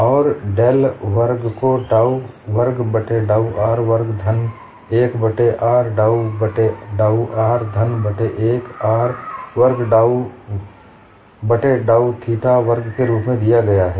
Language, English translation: Hindi, And del square is given as dou square, by dou r square plus 1 by r dou by dou r plus 1 by r square dou square by dou theta square